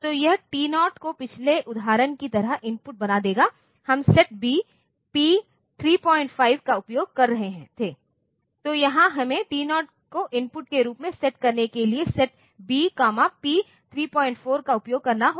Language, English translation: Hindi, So, this will make this T0 as input just like in the previous example we were using set B, P 3